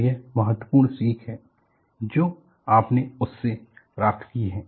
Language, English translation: Hindi, So, that is the important learning that you gained from that